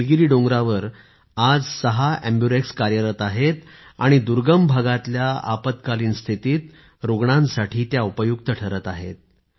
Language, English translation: Marathi, Today six AmbuRx are serving in the Nilgiri hills and are coming to the aid of patients in remote parts during the time of emergency